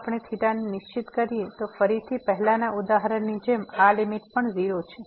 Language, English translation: Gujarati, So, if we fix theta, if we fix theta, then again like in the previous example this limit is 0